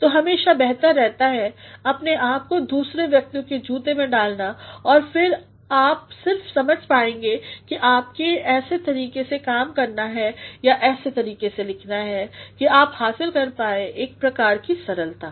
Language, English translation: Hindi, So, it is always better to put yourself in other person's shoes and then you will only understand that you have to work in such a manner or write in such a manner that you achieve a sort of simplicity